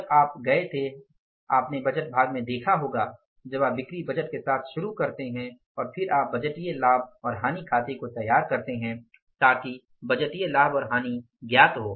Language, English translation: Hindi, When you go for, you might have seen in the budget part when you go for say you start with the sales budget and then you prepare the budgeted profit and loss account